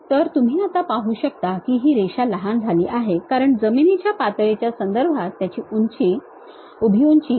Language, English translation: Marathi, So, now you see the line is shortened because the vertical height with respect to the ground level is 50 millimeters